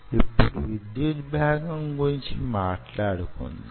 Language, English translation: Telugu, so lets talk about the electrical component